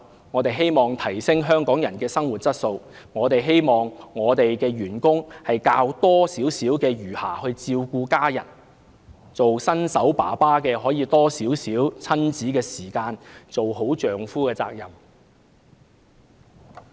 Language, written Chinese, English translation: Cantonese, 我們希望提升香港人的生活質素，我們希望員工有較多餘暇照顧家人，新手父親可以有多一些親子時間，一盡丈夫的責任。, We hope that Hong Kong people can have a higher quality of life that employees can get more spare time to take care of their families and that first - time father can spend more time with his children and play a better role as husband